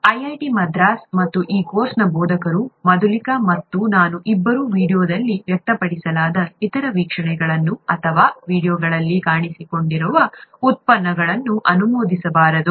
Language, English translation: Kannada, IIT Madras and the instructors of this course, both Madhulika and I, may not endorse the other views that are expressed in the video or the products that are featured in the videos